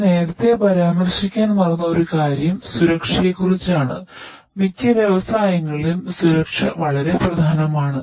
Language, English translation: Malayalam, One more thing that I forgot to mention earlier is what about safety, safety is very important in most of the industries